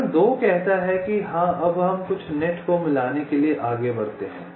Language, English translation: Hindi, step two says: now we move to merge some of the nets